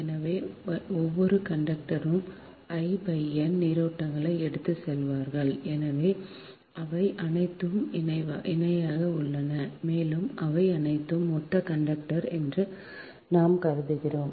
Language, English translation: Tamil, so each conductor will carry currents i by n, because they all are in parallel and we assume they are all similar conductor